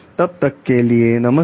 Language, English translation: Hindi, Till then goodbye